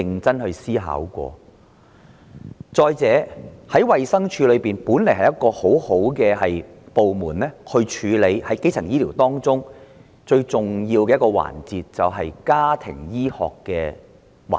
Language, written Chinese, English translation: Cantonese, 再者，衞生署本來有個很好的部門，負責處理基層醫療中最重要的環節——家庭醫學。, What is more DH originally has a very good department to deal with the most important element of primary health care―family medicine